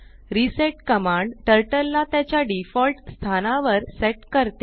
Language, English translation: Marathi, reset command sets Turtle to its default position